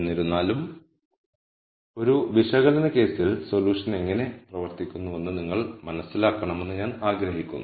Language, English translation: Malayalam, Nonetheless I just want you to understand how the solution works out in an analytical case